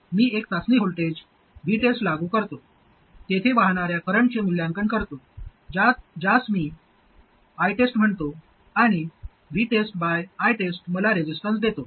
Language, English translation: Marathi, I apply a test voltage, V test, evaluate the current that is flowing there, which I'll call I test, and V test by I test gives me the resistance